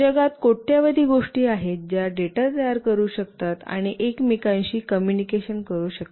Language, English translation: Marathi, There are billions of things in the world that can generate data and communicate with each other